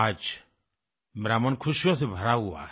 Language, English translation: Hindi, My heart is filled to the brim with joy today